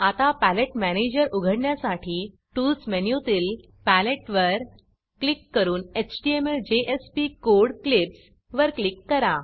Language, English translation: Marathi, Now let us open the Palette manager by going to the Tools menu Palette and click on HTML/JSP code clips The Palatte manager opens